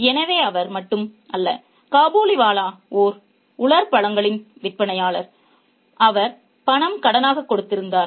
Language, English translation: Tamil, So, he was not only the Kabiliwala was not only a dry fruit seller, he was also a money lender